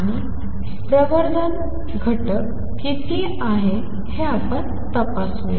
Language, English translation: Marathi, And how much is the amplification factor let us check that